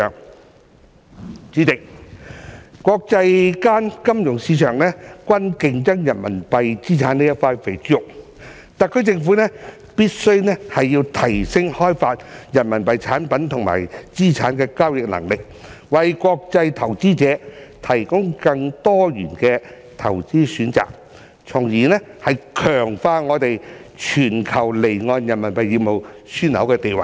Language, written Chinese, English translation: Cantonese, 代理主席，國際金融市場均在競爭人民幣資產這塊"肥豬肉"，特區政府必須提升開發人民幣產品與資產的交易能力，為國際投資者提供更多元的投資選擇，從而強化我們全球離岸人民幣業務樞紐的地位。, Deputy President as international financial markets are competing for the lucrative Renminbi assets the SAR Government must enhance its ability to develop Renminbi products and assets for trading so as to provide international investors with more diversified investment options thereby strengthening our position as a global offshore Renminbi business hub